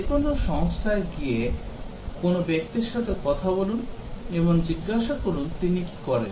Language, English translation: Bengali, Just walk into any company and talk to a person and ask what does he do